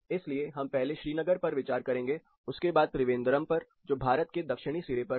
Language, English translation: Hindi, So, we will be considering Srinagar first, followed by Trivandrum which is in the Southern tip of India, so first